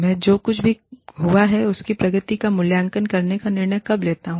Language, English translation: Hindi, When do i decide, to evaluate the progress of whatever, has happened